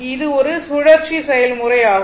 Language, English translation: Tamil, So, it is a cyclic process, right